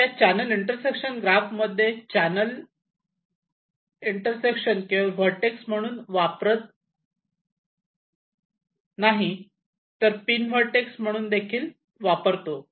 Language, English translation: Marathi, now, in this extended channel intersection graph, we use not only the channel intersections as vertices, but also the pins as vertices